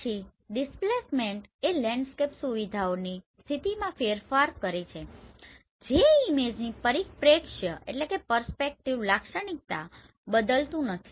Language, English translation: Gujarati, Then the displacement is the shift in the position of the landscape features that does not alter the perspective characteristic image